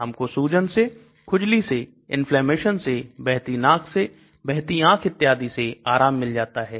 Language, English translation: Hindi, We end up having swelling, itching, inflammation, runny nose, runny water eyes and so on